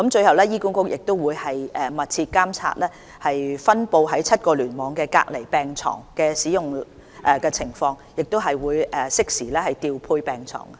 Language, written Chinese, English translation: Cantonese, 醫管局亦會密切監察分布在7個聯網的隔離病床的使用情況，以便適時調配病床。, HA will closely monitor the utilization of isolation beds in the seven clusters and arrange bed deployment in a timely manner